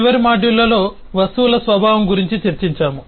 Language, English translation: Telugu, in the last module we have discussed about the nature of objects